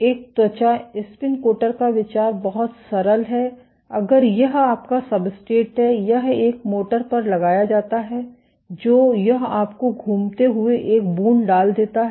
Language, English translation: Hindi, The idea of a skin spin coater is very simple if this is your substrate this is mounted on a motor which rotates you put a drop